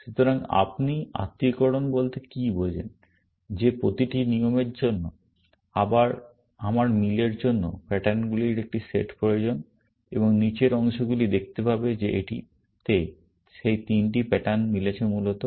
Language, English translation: Bengali, So, what do you mean by assimilative; that for every rule, I need a set of patterns to match, and the bottom parts will see that it gets those three patterns matched, essentially